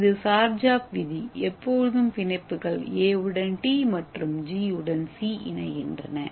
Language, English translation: Tamil, So this is the Chargaff rules and where A always bonds with T and G always pair with the C